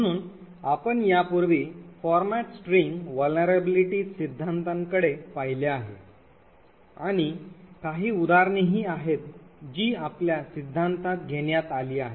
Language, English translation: Marathi, So we have already looked at the theory of format strings vulnerabilities and there are some examples, which we are taken in the theory